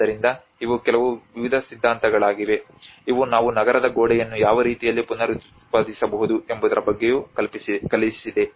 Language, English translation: Kannada, So these are some various theories which has also thought about so how in what ways we can reproduce a city wall